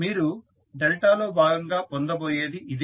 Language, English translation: Telugu, So, this is what you will get as part of your delta